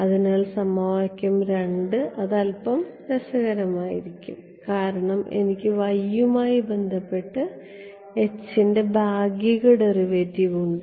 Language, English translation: Malayalam, So, equation 2 is where it will become a little interesting because I have partial derivative of H with respect to y